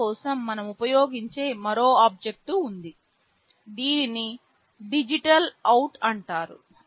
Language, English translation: Telugu, There is another object that we use for that, it is called DigitalOut